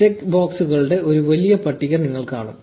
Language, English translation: Malayalam, And you will see a big list of check boxes